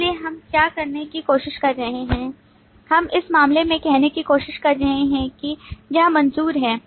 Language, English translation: Hindi, So what we are trying to do, we are trying to say, in this case trying to look at approve